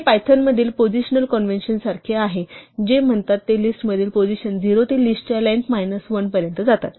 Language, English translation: Marathi, This is similar to the similar positional convention in Python which says that the positions in a list go from 0 to the length of the list minus 1